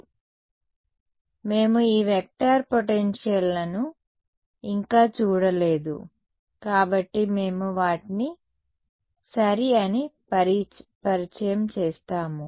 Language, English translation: Telugu, So, since we have not yet looked at these vector potentials we will introduce them ok